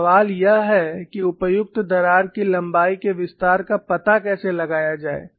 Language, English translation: Hindi, So, the question is how to find out the extension of appropriate crack length